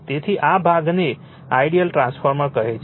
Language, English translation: Gujarati, So, this portions call ideal transformers, right